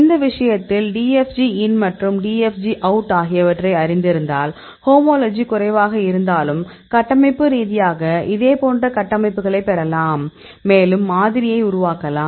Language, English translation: Tamil, So, in this case if you know the conformation DFG in and DFG out; even if the homology is less, structurewise you can get a similar structures and you can model the structures and mainly focus on the conformation